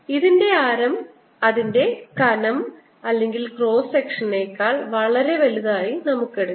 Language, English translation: Malayalam, let us take the radius of this to be much, much, much greater than the thickness of your cross section